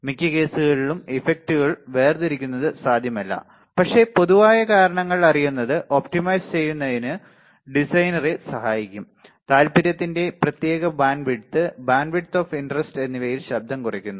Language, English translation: Malayalam, It is not possible most of the cases to separate the effects, but knowing general causes may help the designer optimize the design, minimizing noise in particular bandwidth of the interest, bandwidth of interest